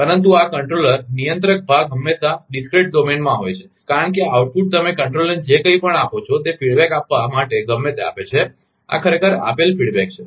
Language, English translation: Gujarati, But this controller, controller part is always in discrete domain, because if this output, whatever you give it to a feedback to the controller, whatever feedback this is your giving actually